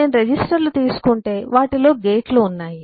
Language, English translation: Telugu, if I take registers, I have gates in them, and so on